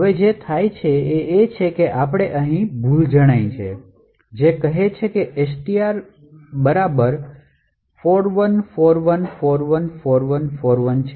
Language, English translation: Gujarati, So, what happens now is that we see an error over here stating that STR equal to 41414141